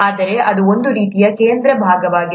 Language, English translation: Kannada, But it's kind of a central part